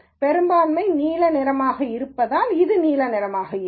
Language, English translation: Tamil, And since the majority is blue, this will be blue